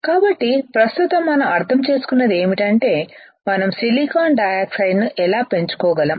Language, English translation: Telugu, So, right now what we understood is how we can grow silicon dioxide